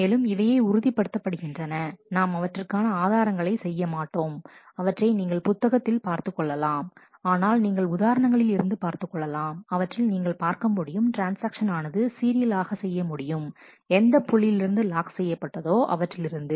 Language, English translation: Tamil, And this ensures so, we are we will not do the proof, but you can look it up in the book or, but you can see through examples that it can be shown that transactions can be serialized in the order of the points where they do the locking